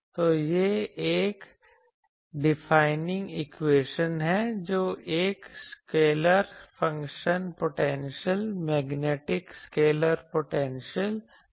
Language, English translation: Hindi, So, this is another defining equation that another scalar function potential function I am saying, this is magnetic scalar potential